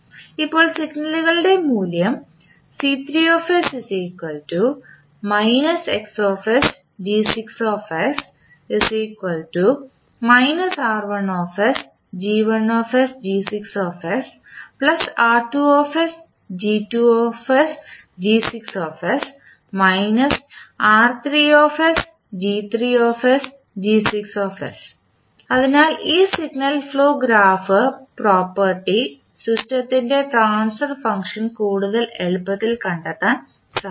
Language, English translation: Malayalam, So this signal flow graph property will help in finding out the transfer function of the system more easily